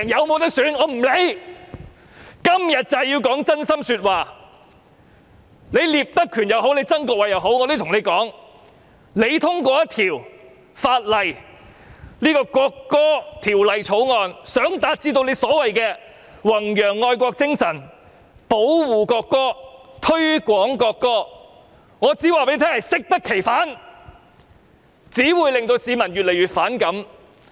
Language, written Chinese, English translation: Cantonese, 無論是聶德權也好，曾國衞也好，我想告訴他們，如果以為通過這項《條例草案》是要達致所謂的弘揚愛國精神、保護國歌、推廣國歌，結果只會適得其反，令市民越來越反感。, I would like to tell Patrick NIP or Erick TSANG if they think the passage of the Bill can achieve the so - called objectives of promoting patriotism as well as protecting and promoting the national anthem it will only backfire and arouse even greater public resentment